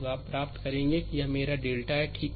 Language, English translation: Hindi, So, you will get this is my delta, right